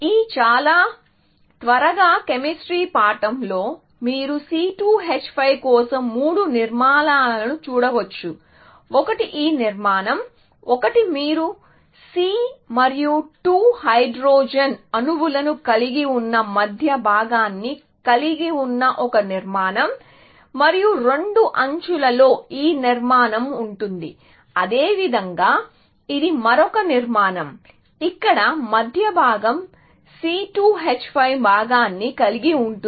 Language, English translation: Telugu, So, in this very quick chemistry lesson, you can see that three possible structures for C2 H5; one is this structure; one is a structure where, you have the middle part where, you have C and 2 hydrogen atoms, and the two edges contain this structure like this, and likewise, this is another structure where, the middle part has the C2 H5 component